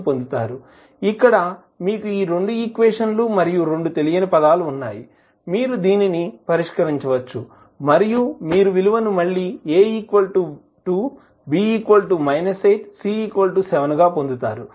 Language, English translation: Telugu, Now, you have two equations and two unknowns, you can solve and you will get the value again as A is equal to 2, B is equal to minus 8 and C is equal to seven